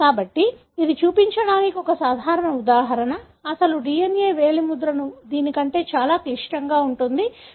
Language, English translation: Telugu, So, this is one simple example to show; the actual DNA finger printing will be more complex than this